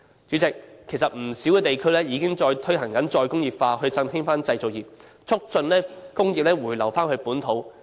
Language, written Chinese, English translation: Cantonese, 主席，其實不少地區已經推行再工業化，以振興製造業，促進工業回流本土。, President in fact re - industrialization is promoted in many places with a view to re - vitalizing manufacturing industries and prompting the return of industries